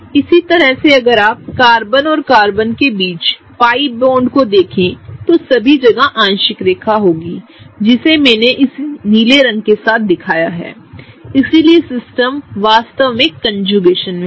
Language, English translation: Hindi, Same way if you see the pi bonds between Carbon and Carbon are kind of such that they get a dotted line that I have represented with this blue color; they get a dotted line between all the structures, so the system is really in conjugation